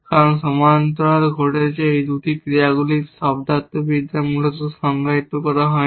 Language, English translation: Bengali, They can never happen the same time because the semantics of these 2 actions happening in parallel is not defined essentially